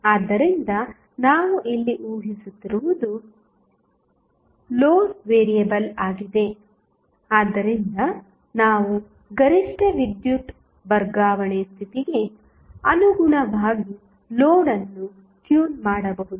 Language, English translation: Kannada, So, what we are assuming here is that the load is variable, so, that we can tune the load in accordance with the maximum power transfer condition